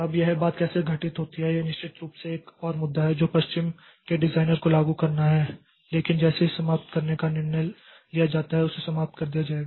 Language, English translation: Hindi, Now how this thing happens so that is of course another issue or that is OS designer has to implement to implement that so but as soon as a decision is made to terminate it will be terminated